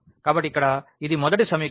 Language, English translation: Telugu, So, here this is the first equation x plus y is equal to 4